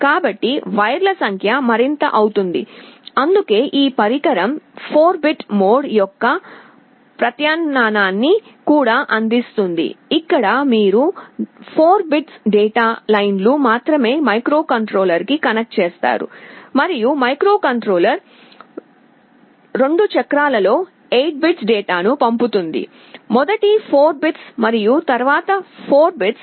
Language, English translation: Telugu, So, the number of wires becomes more that is why this device also provides with an alternative of 4 bit mode, where you connect only 4 bits of data lines to the microcontroller, and the microcontroller will be sending the 8 bits of data in 2 cycles, first 4 bits and then the other 4 bits